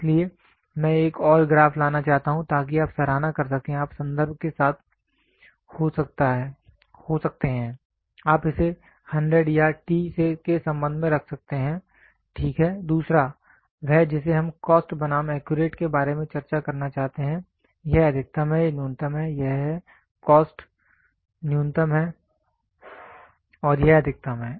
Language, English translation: Hindi, So, I would like to bring in one more graph, so that you can appreciate, you can be with respect to you can put it as with respect to 100 or t, ok, the other one is we wanted to discuss about cost versus accurate, this is maximum, this is minimum, this is, cost is minimum and this is maximum